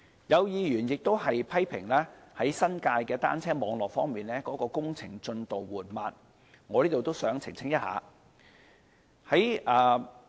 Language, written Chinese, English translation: Cantonese, 有議員批評新界的單車網絡的工程進度緩慢，我想在此澄清一下。, Concerning a Members criticism of the slow progress of the construction works of the cycle track networks in the New Territories I wish to make a clarification here